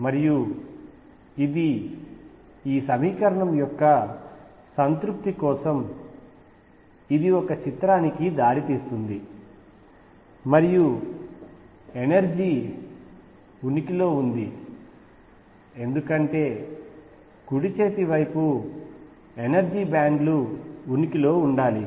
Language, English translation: Telugu, And this leads to a picture for the satisfaction of the equation like this and energy is exist because, right hand side should remain below energy bands exist